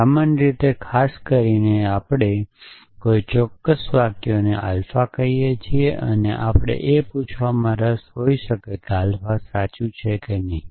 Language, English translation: Gujarati, So, in gen so in particular we may be interested in a particular sentences call alpha and we may be interested asking whether alpha is true or not essentially